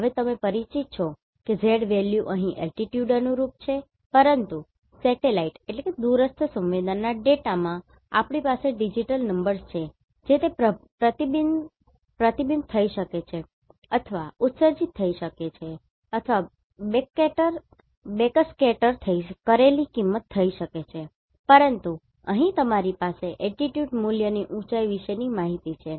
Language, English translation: Gujarati, Now, let us see what exactly we mean by this digital elevation model and how it is going to help me now you are familiar that z value here corresponds to altitude, but in satellite remote sensing data, we have digital numbers it can be reflected or emitted or backscattered value, but here you are having altitude value height information